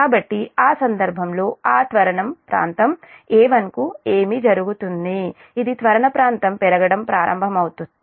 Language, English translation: Telugu, that acceleration area a one this is the acceleration area will start to increase